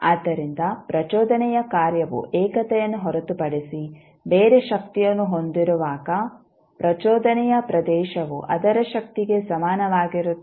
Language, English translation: Kannada, So, when the impulse function has a strength other than the unity the area of the impulse is equal to its strength